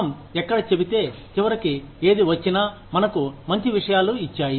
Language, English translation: Telugu, Where we say, if in the end, whatever has come, has given us better things